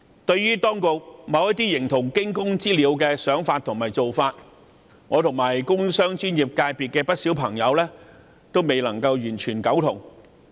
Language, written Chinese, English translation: Cantonese, 對於當局某些形同驚弓之鳥的想法及做法，我和工商專業界別的不少朋友都未能完全苟同。, I and many of my friends in the business and professional sectors do not totally agree with some of the views and responses of the Government as it is sort of panic - stricken